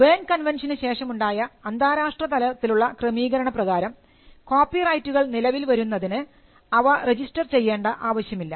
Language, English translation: Malayalam, But because of an international arrangement called the Berne convention it is not necessary to get a registration of a copyright to enforce it